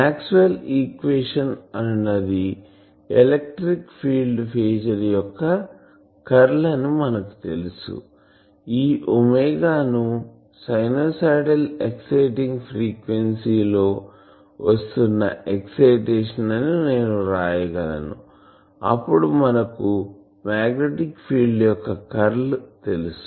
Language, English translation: Telugu, We know that Maxwell’s equation are the curl of the electric field phasor, that I can write as this omega is the excitation that is coming in the sinusoidal frequency sinusoidal excitation frequency, then we know that curl of the magnetic field this is phasor